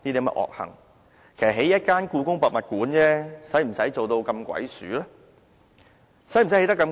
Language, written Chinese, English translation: Cantonese, 為何興建一間故宮博物館，要做到這麼鬼祟呢？, Why must a Palace Museum in Hong Kong be constructed in such a secretive manner?